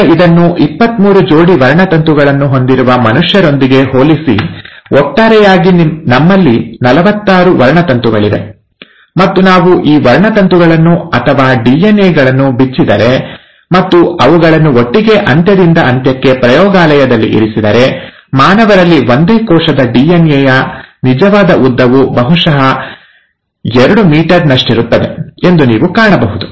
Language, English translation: Kannada, Now compare this to humans where would have about twenty three pairs of chromosomes, in total we have forty six chromosomes, and if we were to unwind these chromosomes, or the DNA and put it together end to end in, let’s say, a lab, you will find that the actual length of DNA from a single cell in humans is probably two meters long